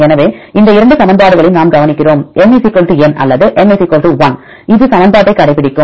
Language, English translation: Tamil, So, we look into these two equations, if N = n or N = 1 it read obeys this equation